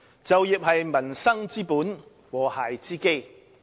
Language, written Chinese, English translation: Cantonese, 就業是民生之本，和諧之基。, Employment is the basis of peoples livelihood and the foundation of harmony